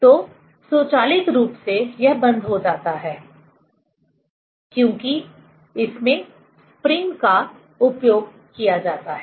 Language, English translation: Hindi, So, automatically it is closed, because this spring is used